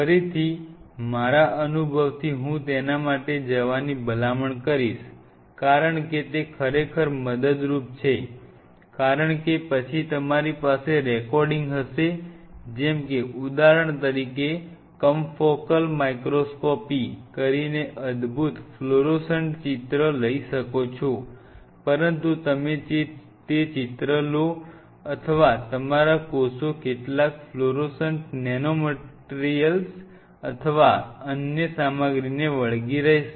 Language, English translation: Gujarati, Again, out of my farsightedness I will recommend go for it because that is really helpful because then you have a recording like say for example, you want to take wonderful florescent picture you will be doing later some confocal microscopy or something, but you want to take that picture or your cells adhering to some florescent nanomaterial or some other material